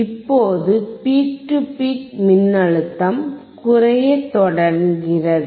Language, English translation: Tamil, Now the peak to peak voltage start in decreasing